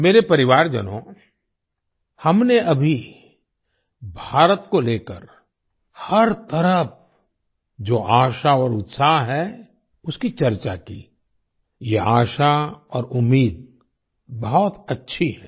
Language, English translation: Hindi, My family members, we just discussed the hope and enthusiasm about India that pervades everywhere this hope and expectation is very good